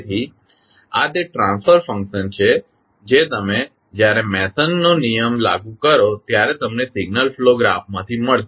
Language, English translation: Gujarati, So, this is the transfer function which you will get from the signal flow graph when you apply the Mason’s rule